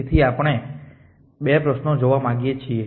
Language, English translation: Gujarati, So they at 2 questions we want to look at